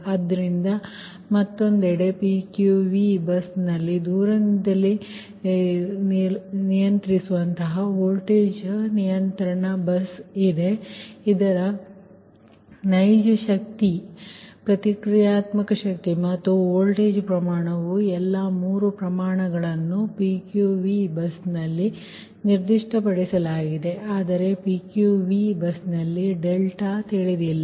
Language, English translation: Kannada, so, on the other hand, in the pq v bus is a remotely voltage control bus right whose real power, reactive power and voltage magnitude, all three quantities, are specified at pqv bus but delta is unknown at pqv bus, right